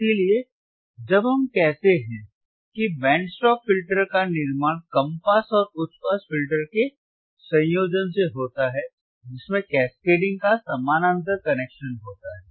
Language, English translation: Hindi, That is why, when we say the band stop filter is formed by combination ofa combination of low pass and high pass filters with a parallel connection with a parallel connection instead of cascading